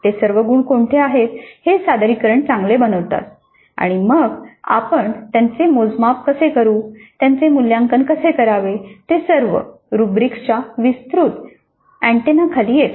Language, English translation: Marathi, Now what are all those attributes which make the presentation good and then how do we measure those, how do we evaluate those things, they all come and the broad and a half rubrics